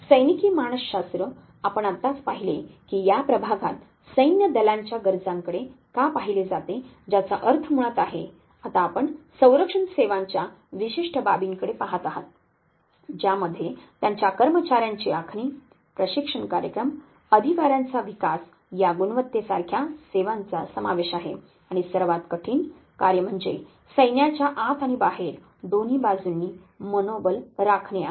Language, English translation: Marathi, We just said that why in this division now looks at the needs of the armed forces which basically means, now that you look at a specific aspects of the defense services which word includes selection of their personnel designing training programs for them development of the officers like quality which is one of the mandate of this services and most herculean task is maintenance of morale both within and outside the forces